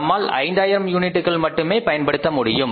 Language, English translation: Tamil, We can use this capacity maximum up to 5,000 units